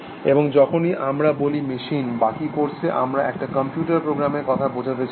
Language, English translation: Bengali, And whenever we say, machine in the rest of this course, basically we will mean a program in computer